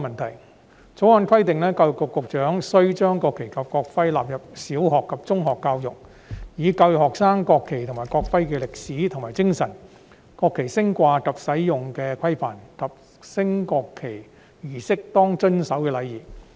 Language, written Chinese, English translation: Cantonese, 《條例草案》規定，教育局局長須將國旗及國徽納入小學及中學教育，以教育學生國旗及國徽的歷史和精神、國旗升掛及使用的規範，以及在升國旗儀式上應當遵守的禮儀。, The Bill stipulates that the Secretary for Education must include national flag and national emblem in primary education and in secondary education so as to educate students on the history and spirit of the national flag and national emblem on the regulation of displaying and using the national flag; and on the etiquette to be followed in a national flag raising ceremony